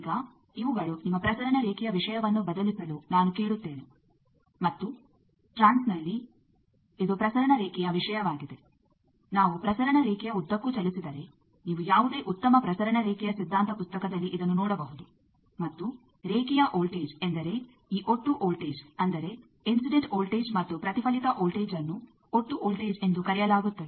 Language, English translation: Kannada, Now, these I just ask you to replace your transmission line thing, and in a trans this is transmission line stuff, that if we move along the transmission line, you can find out these that you see any good transmission line theory book and the voltage in the line voltage means this total voltage; that means, the incident voltage plus the reflected voltage that is called the total voltage